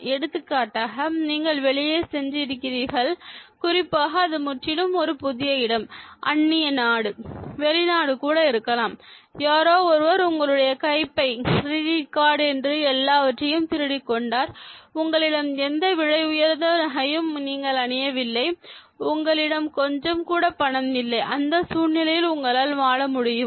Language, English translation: Tamil, Let us say you have gone out, especially completely a new place an alien country, a foreign place, and then somebody pick pocketed everything, took your bag, your credit card, everything is lost and you are just on the road, no money, nothing